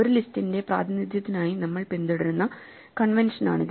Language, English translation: Malayalam, So, this is the convention that we shall follow for our representation of a list